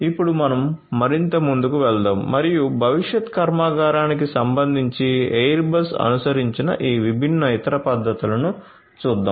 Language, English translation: Telugu, So, let us now proceed further and look at this different other you know other implementations that Airbus has adopted with respect to the factory of the future